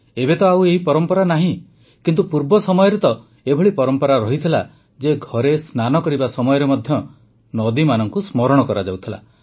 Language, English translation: Odia, This tradition has ceased now…but in earlier times, it was customary to remember rivers while bathing at home